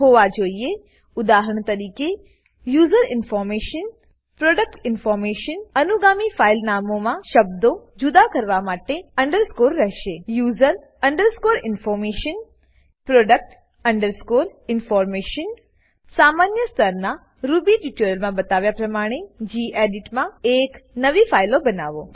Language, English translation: Gujarati, For example, UserInformation ProductInformation The subsequent file names will have underscore separating the words: user underscore information product underscore information Create a new file in gedit as shown in the basic level Ruby tutorials